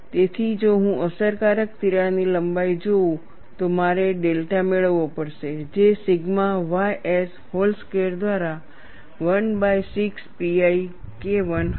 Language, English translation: Gujarati, So, if I look at the effective crack length, I would have to get delta which would be 1 by 6 pi K 1 by sigma ys whole square